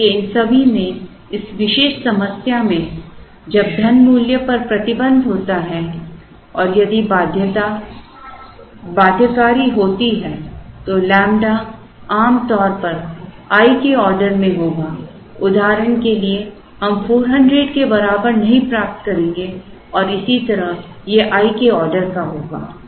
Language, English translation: Hindi, So, in all these, in this particular problem when there is a restriction on the money value and if the constraint is binding, lambda will usually be in the order of i, for example, we will not get lambda equal to 400 and so on